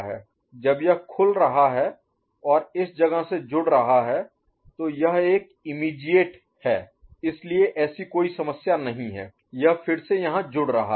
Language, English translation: Hindi, When it is getting open and connecting to this place, so it is a immediate so there is no such issue again it is getting here